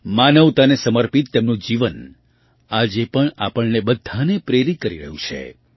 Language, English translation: Gujarati, Her life dedicated to humanity is still inspiring all of us